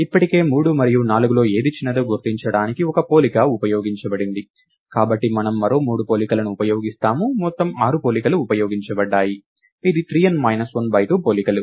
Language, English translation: Telugu, Already one comparison is used up to identify which of 3 and 4 is smaller; therefore, we use three more comparisons, a total of six comparisons are used which is three times n minus 1 by 2 comparisons